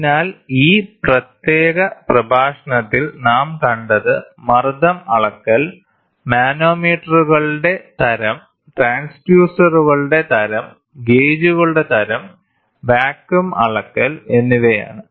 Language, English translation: Malayalam, The content of this picture is going to be pressure measurement, type of manometers, different types of transducers, type of gauges and measurement of vacuum